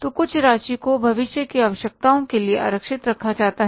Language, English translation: Hindi, So, some amount is kept as a reserve for the sake of the future requirements